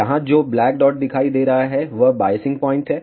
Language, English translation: Hindi, The black dot that you see here is the biasing point